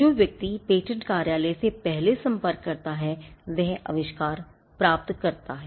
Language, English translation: Hindi, The person who approaches the patent office first gets the invention